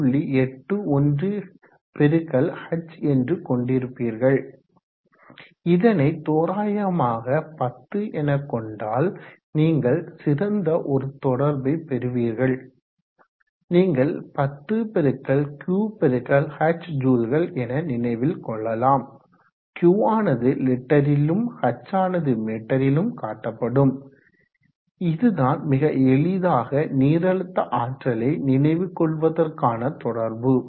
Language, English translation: Tamil, 81 x h and if you take this approximately = 10, you will get a very nice relationship to remember 10 x 3 x h j where Q is expressed in units of liters that is nice relationship to remember the hydraulic energy